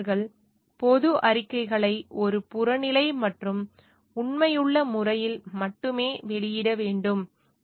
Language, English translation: Tamil, And engineers shall issue public statements only in an objective, and truthful manner